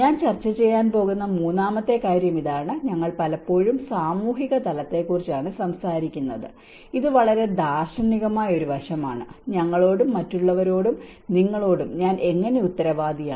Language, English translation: Malayalam, And this is the third point which I am going to discuss is more often we talk about the social dimension, this is more of a very philosophical aspect, how I is accountable for we and others and yours